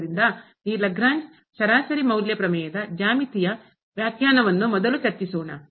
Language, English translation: Kannada, So, let us first discuss the geometrical interpretation of this Lagrange mean value theorem